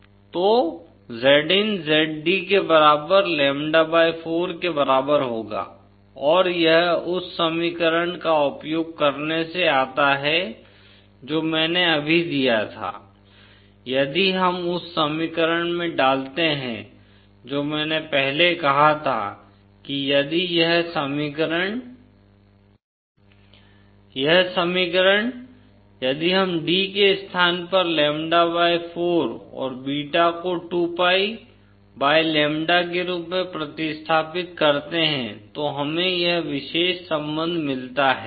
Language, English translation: Hindi, So Zin will be equal to Zd equal to lambda/4 and this comes out to using the equation that I just gave if we put in the equation that I had previously stated that if this equation this equation if we substitute in place of d as lambda/4 and beta as 2pi/lambda then we get this particular relationship